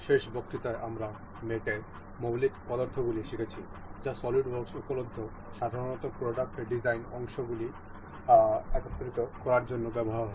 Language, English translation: Bengali, In the last lecture, we have learnt the basic elementary methods of mating that are available in solidworks that are generally used in assembling the parts in product design